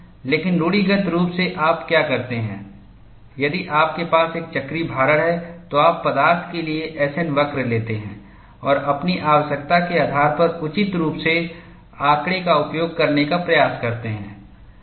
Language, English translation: Hindi, But conventionally, what you do, if we have a cyclical loading, you just take the S N curve for the material and try to use the data appropriately, on that basis of your need